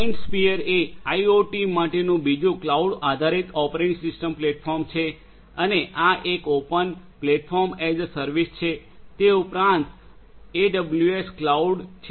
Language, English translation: Gujarati, MindSphere is another cloud based operating system platform for IoT and this is an open Platform as a Service in addition to the AWS cloud service